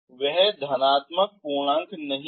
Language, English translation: Hindi, So it is a positive integer